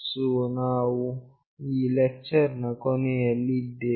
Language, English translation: Kannada, So, we have come to the end of this lecture